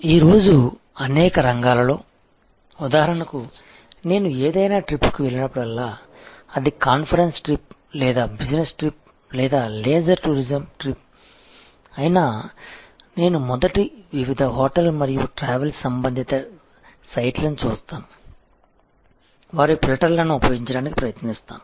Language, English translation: Telugu, In many fields today for example, whenever I go to on any trip, be it a conference trip or a business trip or a leisure tourism trip, I first use various hotel and travel related sites to use their filters